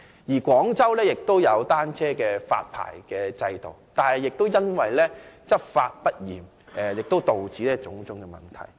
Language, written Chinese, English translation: Cantonese, 此外，廣州亦設有單車發牌制度，但因執法不嚴而導致種種問題。, Furthermore the bicycle licensing regime set up in Guangzhou is fraught with problems due to lax law enforcement